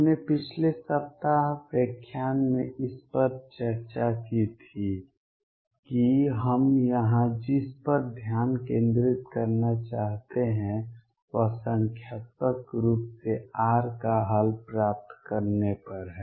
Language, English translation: Hindi, We discussed all this in the lectures last week what we want to focus on here is numerically on getting the solution of r